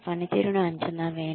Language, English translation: Telugu, Appraise the performance